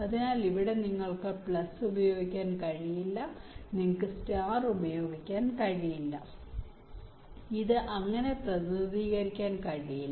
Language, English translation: Malayalam, so here you cannot use plus, you cannot use star